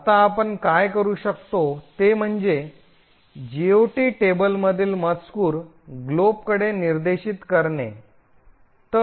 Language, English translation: Marathi, Now what we can do is change the contents of the GOT table to point to glob